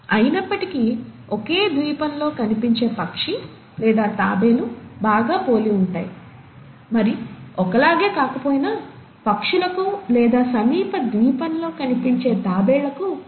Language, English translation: Telugu, Yet, a bird or a tortoise seen in one island was very similar, though not exactly the same, was very similar to the birds or the tortoises found in the nearest island